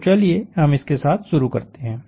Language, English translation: Hindi, So, let us start with that